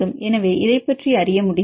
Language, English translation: Tamil, So, how to get this information